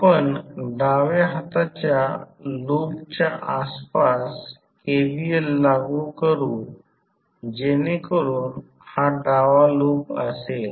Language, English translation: Marathi, We will apply KVL around the left hand loop so this is the left hand loop